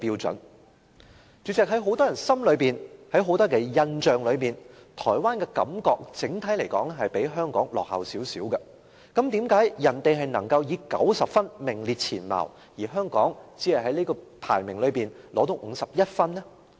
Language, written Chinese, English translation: Cantonese, 主席，在很多人的印象中，台灣整體而言比香港落後，但為何台灣能夠以90分名列前茅，而香港只能在這個排名榜中取得51分呢？, President many people have the impression that Taiwan lags behind Hong Kong in general . However why did Taiwan rank first with a score of 90 % while Hong Kong only obtained a score of only 51 % in this assessment?